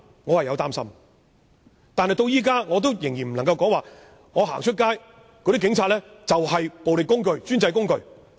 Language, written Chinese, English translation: Cantonese, 我擔心但我仍然不能說，警察是暴力的工具或專制的工具。, I am worried but I still cannot say that police officers are tools of the violent or autocratic government